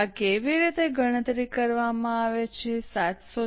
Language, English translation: Gujarati, How is this 746 calculated